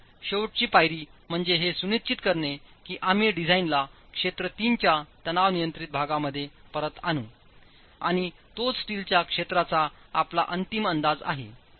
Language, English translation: Marathi, So, the last step here is to ensure that we bring the design back into the tension control portion of region 3 and that is your final estimate of area of steel itself